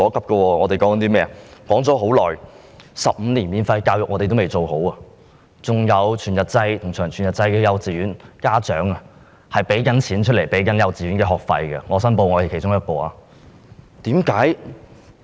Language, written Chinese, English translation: Cantonese, 例如，多年前提出的15年免費教育，至今尚未成事；還有全日制和長全日制幼稚園，家長仍在支付幼稚園學費——我申報我是其中一名家長。, For example 15 - year free education as proposed many years ago has not yet been implemented; subsidies are not provided for whole - day kindergartens and long whole - day kindergartens and parents still have to pay kindergarten fees―I declare that I am one of these parents